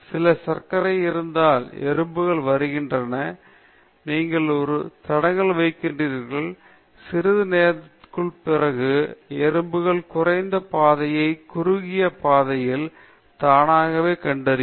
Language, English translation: Tamil, If ants the are… if there some sugar, ants are coming, you place an obstruction, then after sometime the ants will figure out the least path the shortest path automatically